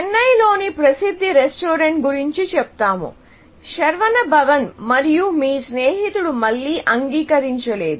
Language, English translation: Telugu, Let us say this well known restaurant in Chennai; Saravana Bhavan, and your friend